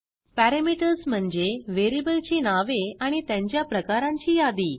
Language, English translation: Marathi, parameters is the list of variable names and their types